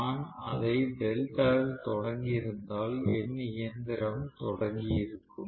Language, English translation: Tamil, So if I had started it in delta maybe my machine would have started, my system would have started